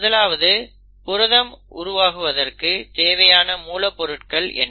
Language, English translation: Tamil, What are the ingredients which are required to make the proteins and 2